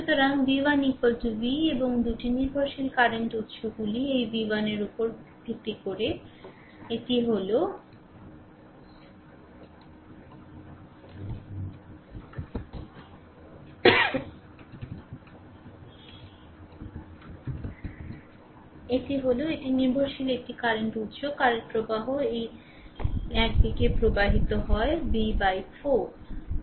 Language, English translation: Bengali, So, v 1 is equal to v and 2 your dependent current sources are there based on this v 1 is this is one dependent current source, current is flowing this direction is v by 4